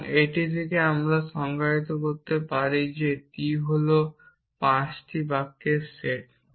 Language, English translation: Bengali, And from that we can defined this said t is the set of 5 sentences